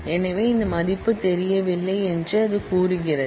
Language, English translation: Tamil, So, it says that this value is not known